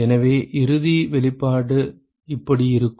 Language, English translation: Tamil, So, the final expression would look something like this